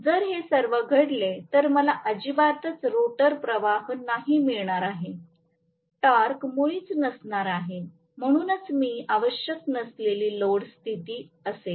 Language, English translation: Marathi, If at all it happens, then I am going to have really no rotor current at all, no torque at all, so it is essentially no load condition